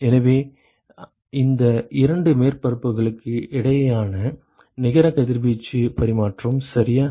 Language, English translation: Tamil, So, that is the net radiation exchange between these two surfaces ok